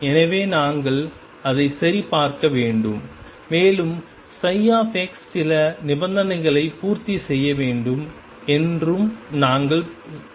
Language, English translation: Tamil, So, we have to check that, and we also demand that psi x satisfy certain conditions